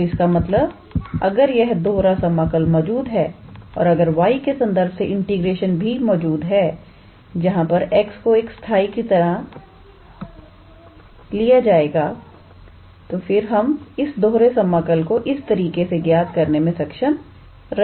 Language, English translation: Hindi, So, that means, if we have this double integral exist here and if the integration with respect to y also exists, where x is treated as a constant then we can be able to evaluate this double integral in this fashion